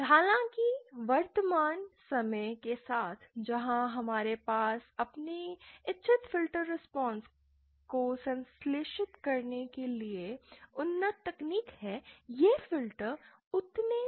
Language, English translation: Hindi, However with the present day where we have the advanced technology for synthesizing our desired filter response these filters are not that common